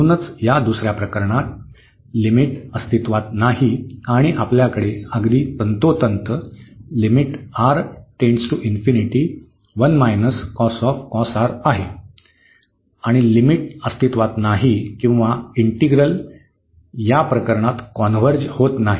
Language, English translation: Marathi, So, therefore, in this case the second case the limit does not exist and we have precisely this limit 1 minus cos R and the limit does not exist or the integral does not converge in this case